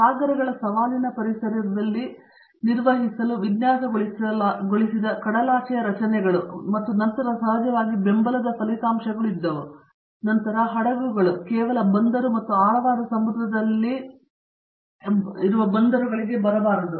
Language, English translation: Kannada, So, offshore structures where then designed to be operated in the challenging environments of the oceans and then of course, there were support results and then of course, ships cannot just go and operate in the deep sea they have to come to the harbour